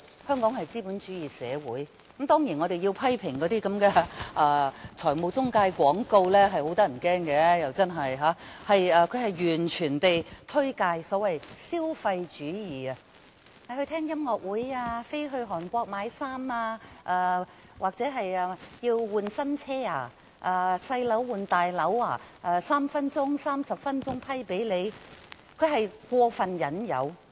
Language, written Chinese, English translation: Cantonese, 香港是一個資本主義社會，當然，我們要批評那些財務廣告，內容真的相當可怕，完全是推介所謂的消費主義：聽音樂會、飛到韓國買衣服或更換新車、小屋換大屋等 ，3 分鐘或30分鐘便可獲批核貸款，這是過分的引誘。, Hong Kong is a capitalistic society . Certainly we must criticize those loan advertisements for the alarming content . The advertisements are actively promoting consumerism going to concerts flying to Korea to buy clothes buying a new car as replacement and replacing small flats with bigger ones and so on emphasizing the speedy approval of loans in three to 30 minutes